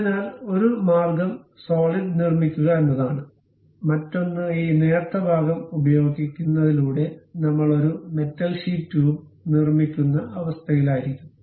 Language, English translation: Malayalam, So, one way is constructing a solid one; other one is by using this thin portion, we will be in a position to construct a metal sheet tube